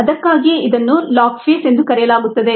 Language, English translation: Kannada, that's actually why it is called the log phase